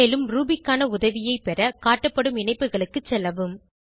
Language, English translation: Tamil, To get more help on Ruby you can visit the links shown